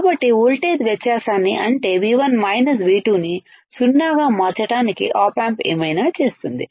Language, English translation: Telugu, So, op amp will do whatever it can to make the voltage difference that is V 1 minus V 2 V 1 minus V 2 to be 0